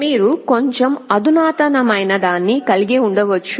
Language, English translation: Telugu, You can have something that is slightly more sophisticated